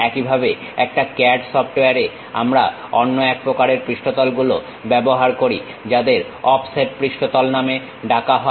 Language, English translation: Bengali, Similarly, at CAD CAD software, we use other variety of surfaces, named offset surfaces